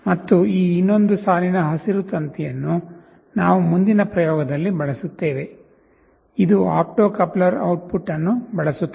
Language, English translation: Kannada, And this other line green one, this we shall be using in the next experiment, this will be using the opto coupler output